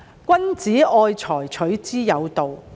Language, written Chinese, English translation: Cantonese, 君子愛財，取之有道。, Gentlemen love fortune in a proper way